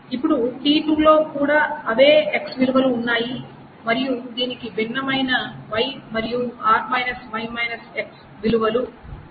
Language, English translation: Telugu, Now the T2 also has the same X value which is A and it has got different y and R minus y